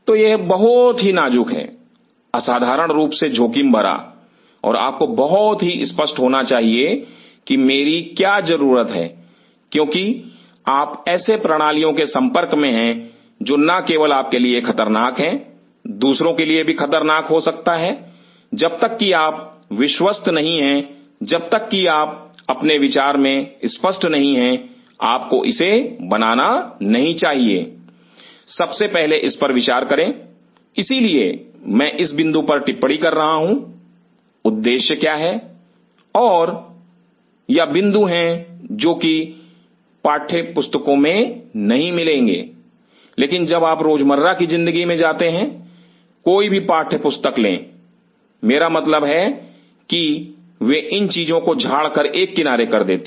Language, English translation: Hindi, So, these are very critical, exceptionally critical and you have to be very clear that what are my because you are dealing with systems which not only is hazardous to you, could be hazardous to others unless you are sure unless you are very clear in your mind you should not lay down, first of all think over it that is why I am jotting down this point, what is the objective and these are the points which textbooks will not say, but when you will go to the day to day life take any textbook I mean they will kind of you know brush aside this things